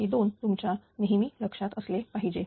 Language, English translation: Marathi, These 2s must be in your mind all the time